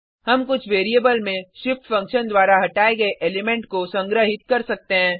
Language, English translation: Hindi, We can collect the element removed by shift function into some variable